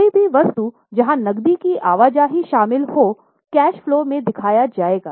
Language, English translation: Hindi, Any item where cash movement is involved will be shown in the cash flow